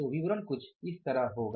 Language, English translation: Hindi, So statement will be something like this